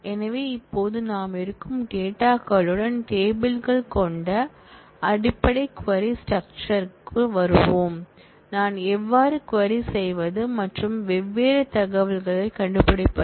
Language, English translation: Tamil, So, now we will get into the basics query structure which is with tables with existing data, how do I query and find out different information